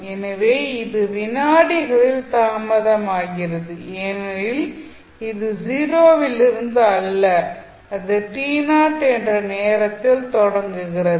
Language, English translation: Tamil, So, it is delayed by t naught seconds because it is starting not from 0 it is starting at some time t naught